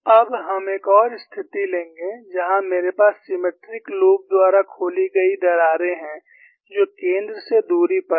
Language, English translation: Hindi, Now, we will take up another situation, where I have crack opened by symmetric loops, which are at distances s from the center